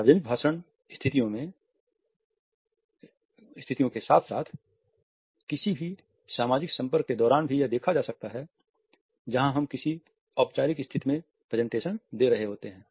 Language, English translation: Hindi, During other public speech situations as well as during any social interaction where one is in a formal position presenting something